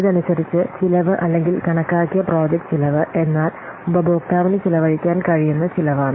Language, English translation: Malayalam, So, according to this, the cost or the estimated project cost is that cost that the customer can spend on it